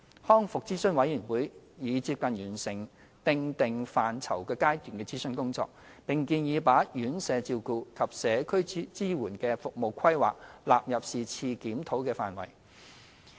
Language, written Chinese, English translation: Cantonese, 康復諮詢委員會已接近完成"訂定範疇"階段的諮詢工作，並建議把院舍照顧及社區支援的服務規劃納入是次檢討的範疇。, The RACs consultation work for the Scoping Stage will be completed soon and RAC recommends the inclusion of planning of residential care and community support services in the scope of the current review